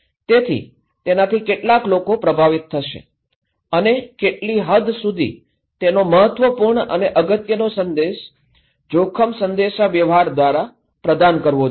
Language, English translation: Gujarati, So, how many people will be affected, what extent is a critical important message risk communication should provide